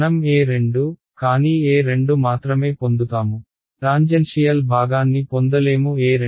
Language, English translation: Telugu, So, I will get E 2, but not just E 2 I will get the tangential part of E 2 right